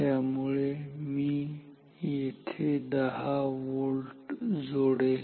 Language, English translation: Marathi, So, here I will apply 10 volt